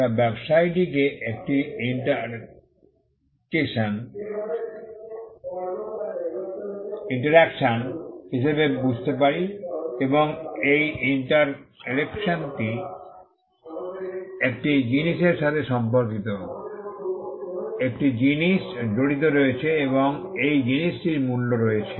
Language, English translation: Bengali, We understand the business as an interaction and this interaction pertains to a thing, there is a thing involved and this thing has value